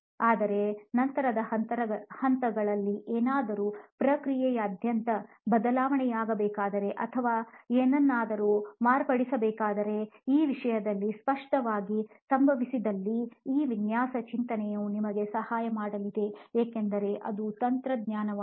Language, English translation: Kannada, But again in the later stages once this thing happens throughout the process if something needs to be changed or something needs to be modified then obviously this design thinking is going to help us because it technology